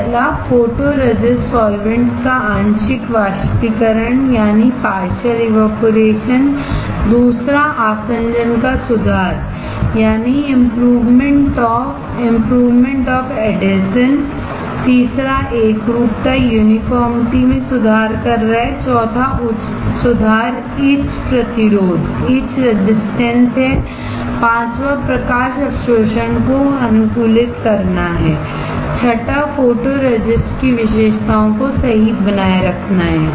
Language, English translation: Hindi, First is partial evaporation of photoresist solvents, second is improvement of adhesion, third is improving uniformity, fourth is improve etch resistance, fifth is optimize light absorbance, sixth is characteristics of photoresist is retained right